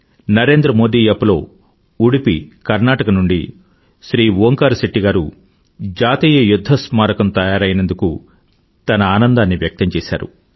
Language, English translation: Telugu, On the Narendra Modi App, Shri Onkar Shetty ji of Udupi, Karnataka has expressed his happiness on the completion of the National War Memorial